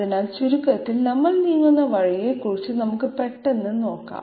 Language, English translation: Malayalam, So to sum up let us have a quick look at the way in which we are moving